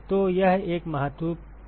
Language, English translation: Hindi, So, that is an important question